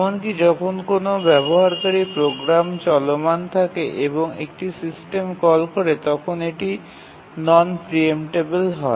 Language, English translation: Bengali, And therefore, even when a user program is running and makes a system call, it becomes non preemptible